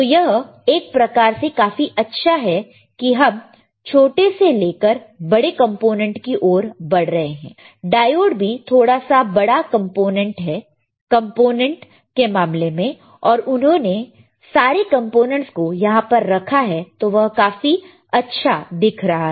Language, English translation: Hindi, Now it is kind of it looks very beautiful because if you see from smaller to bigger actually diode is also little bit big in terms of he has placed the components it looks good, all right